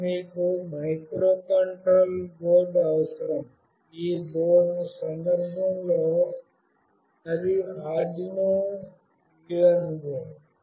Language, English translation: Telugu, And you need a microcontroller board, which in this case is Arduino Uno